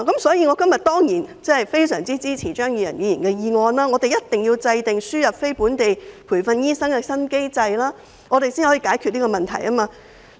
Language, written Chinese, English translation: Cantonese, 所以，我今天當然非常支持張宇人議員的議案，我們必須制訂輸入非本地培訓醫生的新機制，才能解決這個問題。, Hence of course I strongly support Mr Tommy CHEUNGs motion today . We must formulate a new mechanism for importing non - locally trained doctors in order to resolve this problem